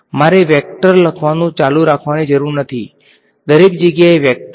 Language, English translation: Gujarati, So, I do not have to keep writing vector; vector everywhere